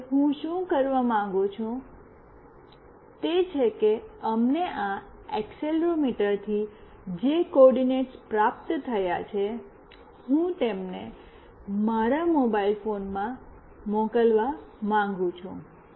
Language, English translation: Gujarati, Now, what I want to do is that the coordinates that we received from this accelerometer, I want to send them to my mobile phone